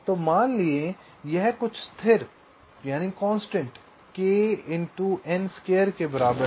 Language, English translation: Hindi, so let say it is equal to some ah constant